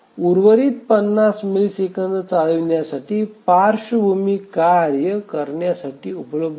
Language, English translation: Marathi, So, the rest of the 50 millisecond is available for the background task to run